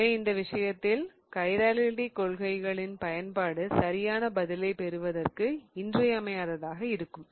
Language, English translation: Tamil, So, in which case the use of these principles of chirality is going to be vital to get to the right answer